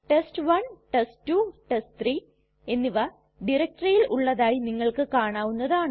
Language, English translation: Malayalam, As you can see test1,test2 and test3 are present in this directory